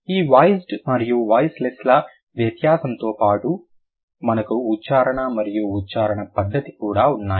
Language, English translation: Telugu, Besides this voiced and voiceless distinction, we also have place of articulation and manner of articulation